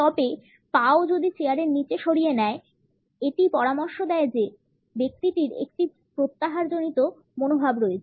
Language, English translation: Bengali, However, if the feet are also withdrawn under the chair; it suggest that the person has a withdrawn attitude